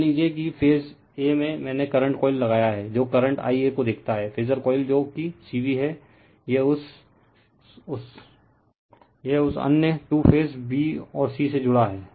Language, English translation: Hindi, Suppose in phase a I have put the current coil , which sees the current I a , and the phasor coil that is C V , it is connected to your what you call that other other two phases that is b and c right